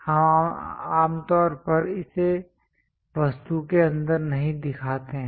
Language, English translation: Hindi, We usually do not show it here inside the object